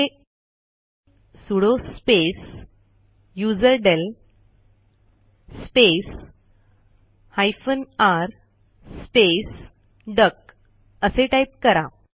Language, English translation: Marathi, Here type sudo space userdel space r space duck